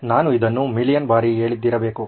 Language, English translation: Kannada, I must have said this a million times